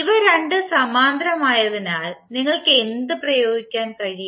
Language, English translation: Malayalam, So since these two are in parallel, what you can apply